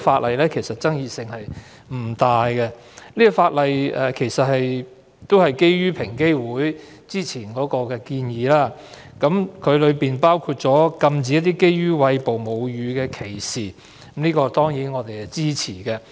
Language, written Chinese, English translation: Cantonese, 《條例草案》的爭議性並不大，當中的修訂都是基於平機會之前的建議，包括禁止對餵哺母乳女性的歧視，我們當然支持。, The Bill is not particularly controversial . The amendments in the Bill which are based on EOCs earlier recommendations include prohibiting discrimination against breastfeeding women . We certainly support the amendments